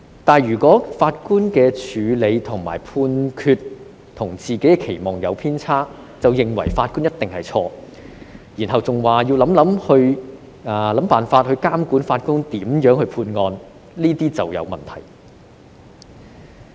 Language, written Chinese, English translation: Cantonese, 可是，如果法官的處理和判決與自己的期望有偏差時，便認為法官一定是錯，然後更揚言要想辦法監管法官如何判案，這就成問題了。, However if people think that the judges must be wrong and even threaten to find ways to monitor how they adjudicate cases whenever their handling and judgments deviated from peoples expectations this will become a problem